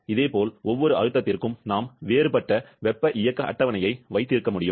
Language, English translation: Tamil, Similarly, for every pressure we can have a different thermodynamic table